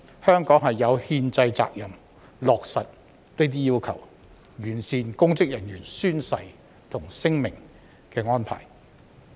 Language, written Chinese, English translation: Cantonese, 香港有憲制責任落實這些要求，完善公職人員宣誓和聲明的安排。, Hong Kong has the constitutional responsibility to implement these requirements and improve the arrangements for oath - taking and declarations by public officers